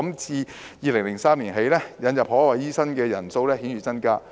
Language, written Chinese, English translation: Cantonese, 自2003年起，引入海外醫生的人數顯著增加。, The scale of admission has been expanded significantly since 2003